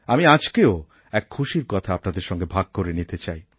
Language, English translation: Bengali, I also want to share another bright news with you